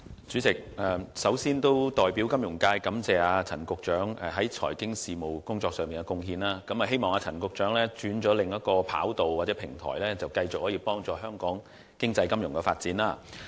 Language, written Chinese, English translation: Cantonese, 主席，首先，我代表金融界感謝陳局長在財經事務方面的貢獻，希望陳局長在轉往另一平台後，會繼續推動香港經濟金融的發展。, President first of all on behalf of the financial sector I would like to thank Secretary Prof CHAN for his contribution in finance . I hope that after Secretary Prof CHAN moves to another platform he will continue to promote the development of Hong Kongs economy and finance